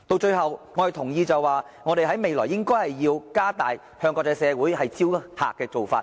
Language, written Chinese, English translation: Cantonese, 最後，我同意未來我們應該加大向國際社會招徠旅客的做法。, Finally I agree that we should make more effort to solicit visitors from the international community in the future